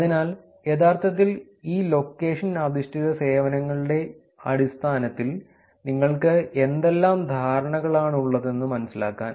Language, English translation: Malayalam, So, just to give you a sense of what are the perceptions in terms of actually these location based services